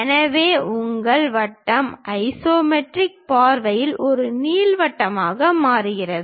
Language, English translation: Tamil, So, your circle converts into ellipse in the isometric view